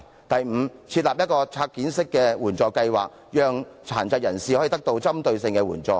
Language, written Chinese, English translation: Cantonese, 第五，政府應設立拆件式的援助計劃，讓殘疾人士可以獲得具針對性的援助。, Fifth the Government should set up an assistance scheme which works on a case - by - case basis so that people with disabilities can receive targeted assistance